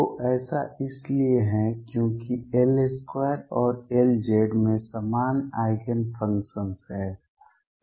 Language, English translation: Hindi, So, this is because L square and L z have common Eigenfunctions